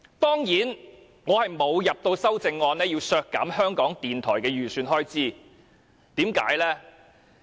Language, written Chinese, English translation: Cantonese, 當然，我沒有提交修正案建議削減香港電台的預算開支，為甚麼呢？, Of course I have not proposed any amendment to cut the estimated expenditure for Radio Television Hong Kong RTHK . Why?